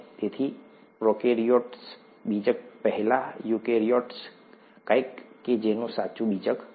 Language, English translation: Gujarati, So, prokaryote, before nucleus, eukaryote, something that has a true nucleus